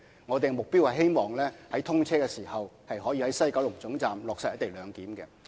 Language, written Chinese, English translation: Cantonese, 我們的目標是希望在通車時可以在西九龍總站落實"一地兩檢"。, Our target is to implement the col - location arrangement at WKT upon the commissioning of XRL